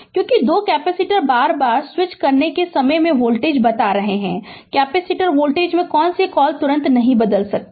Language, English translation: Hindi, Because, two capacitors at the time of switching again and again I am telling voltage cannot your, what you call across the capacitor voltage cannot change instantaneously